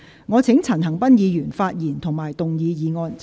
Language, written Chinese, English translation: Cantonese, 我請陳恒鑌議員發言及動議議案。, I call upon Mr CHAN Han - pan to speak and move the motion